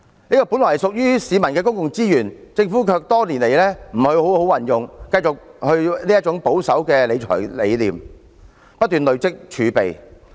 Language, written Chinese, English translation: Cantonese, 這些本來屬於市民的公共資源，政府卻多年來沒有好好運用，繼續維持保守的財政理念，不斷累積儲備。, These public resources should belong to the people but the Government has never made good use of such resources over the years; instead it maintains a conservative fiscal management philosophy and keeps accumulating fiscal reserves